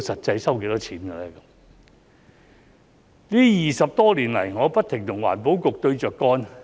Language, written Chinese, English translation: Cantonese, 這20多年來，我不停與環保局對着幹。, During these 20 years or so I have been going against the Environment Bureau